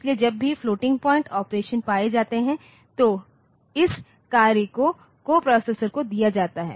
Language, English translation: Hindi, So, whenever that floating point operations are found so the task is given to the coprocessor